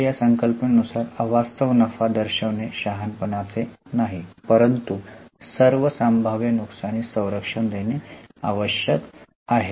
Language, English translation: Marathi, So, as for this concept, it is not prudent to count unrealized gain but it is desired to guard for all possible losses